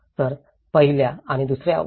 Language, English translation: Marathi, So, in the first and second, 1